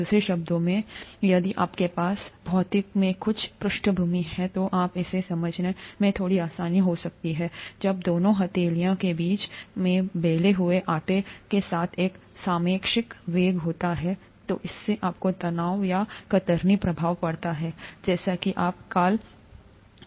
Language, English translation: Hindi, In other words, if you have some background in physics, you would understand this a little more easily when there is a relative velocity between the two palms with the dough ball caught in between, then it results in shear stress, or shear effects, as you can call